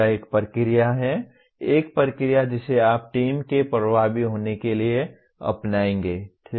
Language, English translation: Hindi, That is a process, a procedure that you will follow for the team to be effective, okay